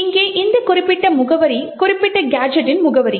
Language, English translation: Tamil, This particular address over here is the address of the particular gadget